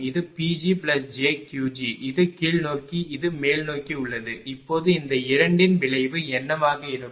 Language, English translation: Tamil, This is P g plus j Q, this is downward this is upward now what will be a resultant of this two